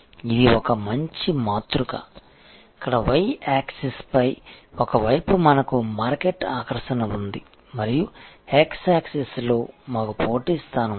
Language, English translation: Telugu, This is a nice matrix, where we have on one side on the y access we have market attractiveness and on the x access we have competitive position